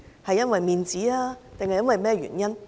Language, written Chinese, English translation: Cantonese, 是因為面子，還是其他原因？, Is it a matter of face or due to other reasons?